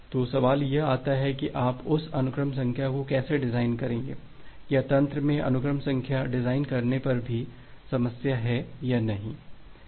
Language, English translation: Hindi, So, the questions comes says that how will you design that sequence number or whether there is still a problem even if you design a sequence number in mechanism